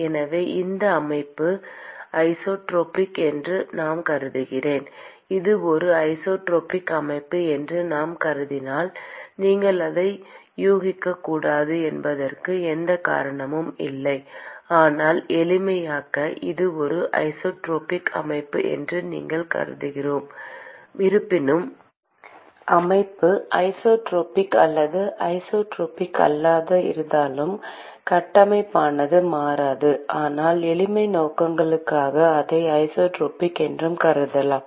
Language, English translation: Tamil, So, supposing I assume the system is isotropic if I assume that it is a isotropic system there is no reason that you should not assume it, but let us say that for simplicity, we assume that it is a isotropic system, although all the framework does not change whether the system is isotropic or non isotropic, but let us say for simplicity purposes we assume that it is isotropic